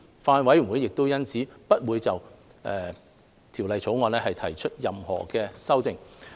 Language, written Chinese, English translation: Cantonese, 法案委員會因此不會就《條例草案》提出任何修正案。, The Bills Committee will therefore not propose any amendment to the Bill